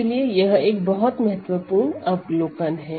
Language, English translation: Hindi, So, this is an extremely important observation for us